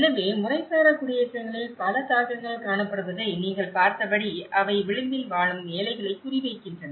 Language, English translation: Tamil, So, as you have seen that many of the impacts are seen in the informal settlements, they are targeting the poor living on the edge